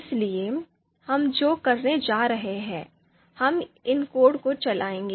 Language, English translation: Hindi, So what we are going to do is we will run these codes